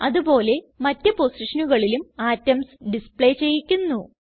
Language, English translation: Malayalam, Likewise I will display atoms at other positions